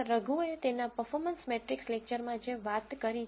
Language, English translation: Gujarati, Raghu has talked about in his performance matrix lecture